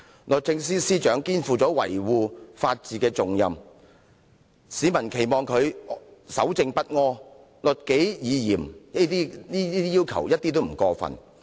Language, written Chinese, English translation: Cantonese, 律政司司長肩負維護法治的重任，市民期望她守正不阿、律己以嚴一點也不過分。, Given that the Secretary for Justice is charged with the important tasks of upholding the rule of law it is not too much for members of the public to expect her to be law - abiding honest and self - disciplined